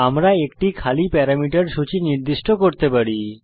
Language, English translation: Bengali, We can specify an empty parameter list